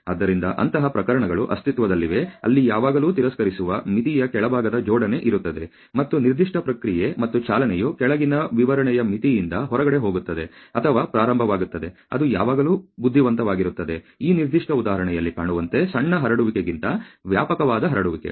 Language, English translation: Kannada, So, this such cases to exists, where there is always a alignment of the lower side of the limit of rejects, and of the of the particular process and the movement that goes or starts going outside the lowest specification limit, it is always wise to have a wider spread than smaller spread as can be seen this particular example